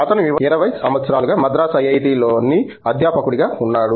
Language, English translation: Telugu, He is been a faculty in IIT, Madras for 20 years